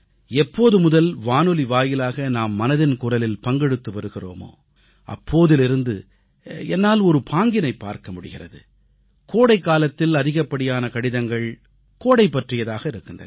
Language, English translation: Tamil, Ever since we have begun conversing with each other in 'Mann Ki Baat' through the medium of radio, I have noticed a pattern that in the sweltering heat of this season, most letters focus around topic pertaining to summer time